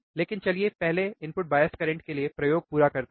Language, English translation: Hindi, But let us first now complete the experiment for input bias current